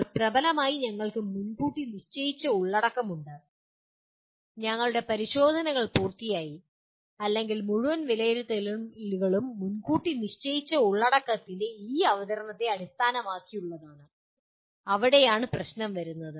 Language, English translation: Malayalam, See right now dominantly we have the predetermined content and our tests are done, or entire assessments is based on this presentation of predetermined content and that is where the problem comes